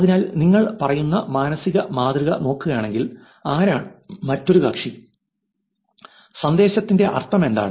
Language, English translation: Malayalam, So, if you look at the mental model it says, who is the other party what is the meaning of the message